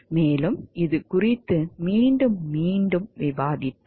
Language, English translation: Tamil, And we have discussed this time and again